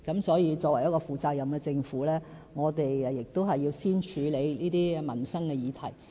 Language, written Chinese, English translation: Cantonese, 所以，作為一個負責任的政府，我們亦要先處理這些民生議題。, As a responsible Government we must therefore accord priority to these livelihood issues